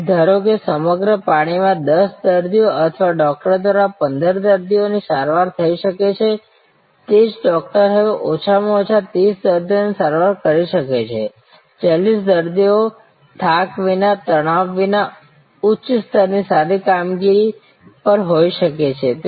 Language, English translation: Gujarati, So, as suppose to 10 patients who could be treated or 15 patients by a doctor in the whole shift, the same doctor could now atleast treat may be 30 patients, 40 patients without fatigue, without stress and at a higher level of good performance